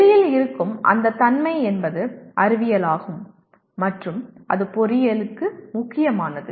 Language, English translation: Tamil, And what is the nature of that thing that exists outside is science and that is important to engineering